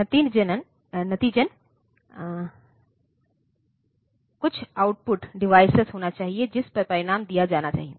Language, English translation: Hindi, As a result, there should be some output device on to which the result should be given